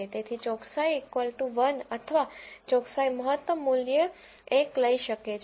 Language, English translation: Gujarati, So, accuracy, equal to 1 or the maximum value that accuracy can take is 1